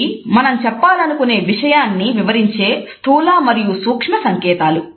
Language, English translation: Telugu, These are those micro and macro signals which illustrate what we want to say